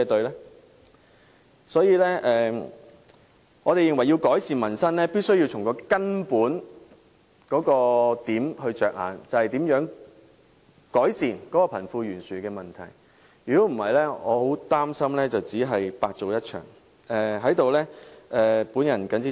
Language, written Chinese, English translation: Cantonese, 因此，我們認為改善民生必須從根本着眼，想想如何改善貧富懸殊的問題，否則我擔心一切也會徒勞無功。, Hence in order to improve peoples livelihood we consider it necessary to start with the basics identifying ways to alleviate the disparity between the rich and the poor otherwise I am worried that all efforts will end up in vain